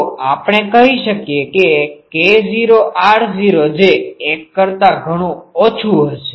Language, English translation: Gujarati, So, can we say that k naught r naught that will be much much less than 1